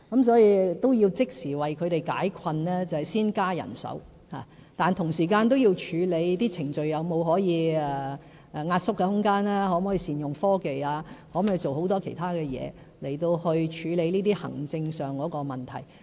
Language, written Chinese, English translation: Cantonese, 所以，要即時為他們解困，便需要先增加人手，但同時間要處理程序上是否有壓縮空間，可否善用科技及其他工作來處理這些行政問題。, Therefore in order to give them prompt relief we need to increase manpower . But at the same time we must also explore whether any procedures can be streamlined or whether we can apply technology or other means to address these administrative issues